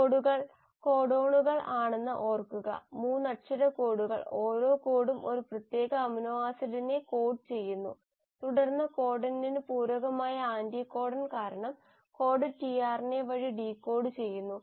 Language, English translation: Malayalam, Just remember that the codes are the codons, the 3 letter codes and each code codes for a specific amino acid, and then the code is decoded by the tRNA because of the anticodon which is complementary to the codon